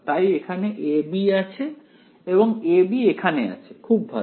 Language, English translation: Bengali, So, the b will come in over here